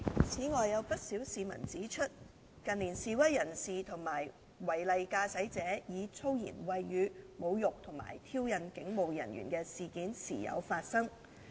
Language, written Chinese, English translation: Cantonese, 此外，有不少市民指出，近年示威人士及違例駕駛者以粗言穢語侮辱及挑釁警務人員的事件時有發生。, In addition quite a number of members of the public have pointed out that in recent years incidents of protesters and offending drivers insulting and provoking police officers with abusive language have occurred from time to time